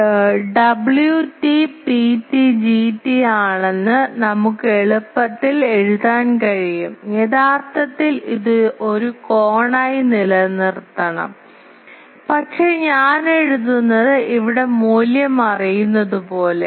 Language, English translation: Malayalam, We can easily write that W t is P t G t, actually it should be retain as an angle, but I am writing that as if I know the value here